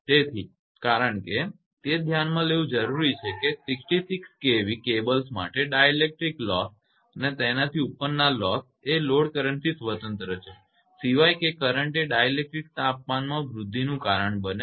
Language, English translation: Gujarati, So, because it is necessary to consider that dielectric loss for cables of 66 kV and above these loses are independent of load current except in so far as the current causes an increase in the temperature of the dielectric